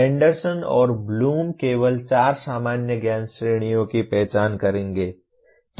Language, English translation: Hindi, Anderson and Bloom will only identify four general categories of knowledge